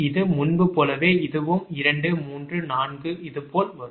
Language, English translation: Tamil, it will come to three, four, like this